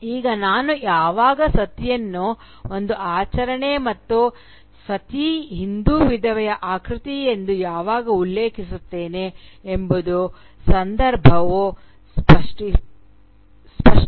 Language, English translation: Kannada, Now, I think the context will make it very clear as to when I am referring to Sati as a ritual and when I am referring to Sati as the figure of the Hindu widow